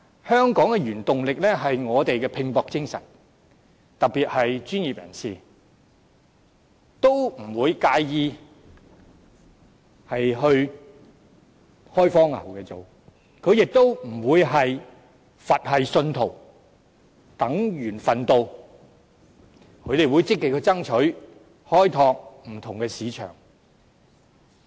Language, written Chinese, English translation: Cantonese, 香港的原動力是我們的拼搏精神，特別是專業人士，他們不會介意前往大灣區作開荒牛，他們亦不會是佛系信徒，等緣份到，而是會積極爭取，開拓不同的市場。, The prime impetus of Hong Kong comes from our fighting spirit which is evident among professionals who do not mind going to the Bay Area as pioneers . They will not act like Buddhist believers who would sit passively and wait for luck to call on them but will strive actively for opening different markets